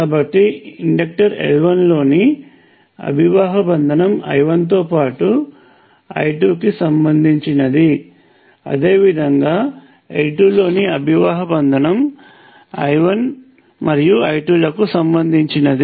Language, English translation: Telugu, So, the flux linkage in inductor L 1 is related to I 1 as well as I 2, and similarly the flux linkage in L 2 is related to both I 1 and I 2